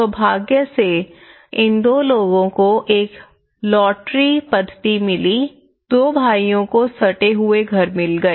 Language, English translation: Hindi, Fortunately, these two people got in a lottery method, they got two brothers got an adjacent house